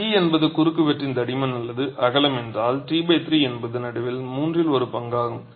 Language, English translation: Tamil, If t is the thickness or the width of the cross section, T by 3 is the middle 1 third